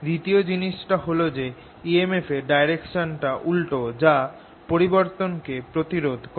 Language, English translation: Bengali, the second thing is that the direction of e m f is opposite, such that it opposes the change